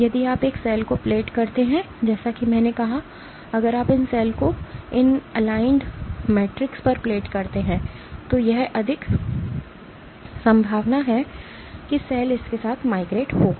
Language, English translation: Hindi, If you plate a cell as I said that if you plate these cells on these aligned metrics it is there is greater chance of the cell will migrate along this